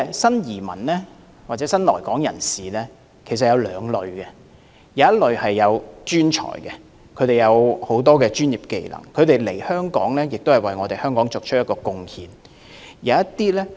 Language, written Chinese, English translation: Cantonese, 新移民或新來港人士有兩類，一類是專才，他們有專業技能，來港後為香港作出貢獻。, New arrivals or newcomers to Hong Kong can be classified into two categories . The first category covers professionals who contribute to Hong Kong with their professional skills upon arrival